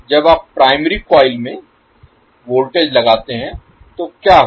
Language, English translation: Hindi, When you apply voltage in the primary coil, so what will happen